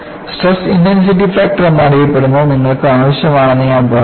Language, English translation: Malayalam, I said that you need to have, what is known as a stress intensity factor